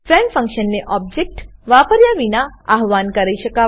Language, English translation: Gujarati, Friend function can be invoked without using an object